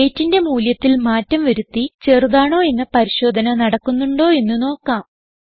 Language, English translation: Malayalam, Now let us change the value of weight to see if the less than check is performed